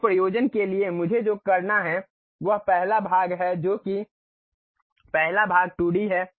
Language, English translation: Hindi, For that purpose what I have to do is the first always the first part is a 2D one